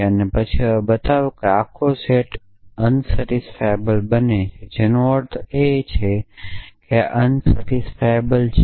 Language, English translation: Gujarati, And then show the whole set becomes unsatisfiable which means of course, this is unsatisfiable